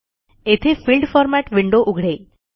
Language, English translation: Marathi, This opens the Field Format window